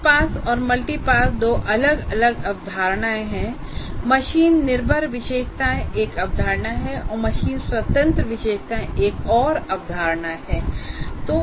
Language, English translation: Hindi, So, single pass, multipass, there are two different concepts and machine dependent features is one concept and machine independent features is another concept